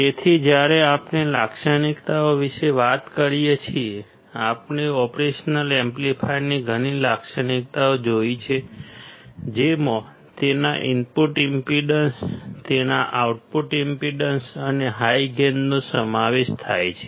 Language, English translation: Gujarati, So, when we talk about the characteristics; we have seen several characteristics operational amplifier including its input impedance, its output impedance and high gain